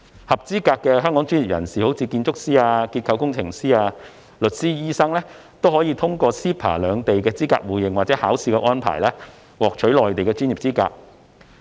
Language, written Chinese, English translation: Cantonese, 合資格的香港專業人士，例如建築師、結構工程師、律師、醫生，可以通過 CEPA 兩地資格互認或考試的安排，獲取內地的專業資格。, Eligible Hong Kong professionals such as architects structural engineers lawyers and doctors might acquire the corresponding Mainlands professional qualifications through mutual recognition or examinations